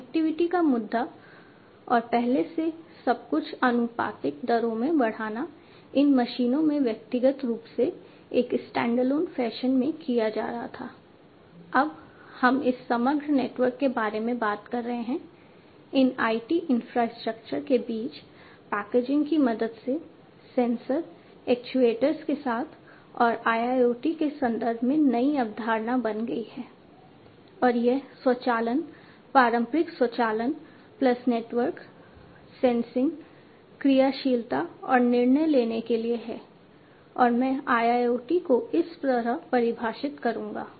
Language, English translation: Hindi, Connectivity issue and scaling up earlier everything was die being done individually in these machines in a standalone fashion now we are talking about this overall networked, you know, networking among these machines, among these IT infrastructure with the help of packaging with sensors actuators etc and that is what has become the newer concept in the context of a IIoT and it is still, you know, it is basically automation, the traditional automation plus network sensing actuation and decision making and I would think I would define IIoT to be this way